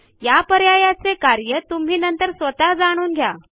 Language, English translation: Marathi, You can explore this option on your own later